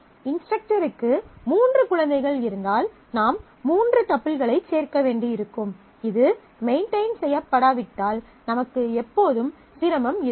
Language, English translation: Tamil, If the instructor and three children will need to add three and unless this is maintained always, then we will have difficulty